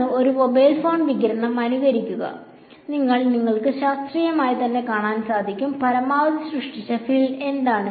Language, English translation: Malayalam, And then simulate a mobile phone radiation and then you can see: what is the maximum field generated can